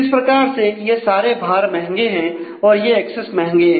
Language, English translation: Hindi, So, how these costs are expensive these accesses are expensive